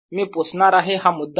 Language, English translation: Marathi, let me erase this point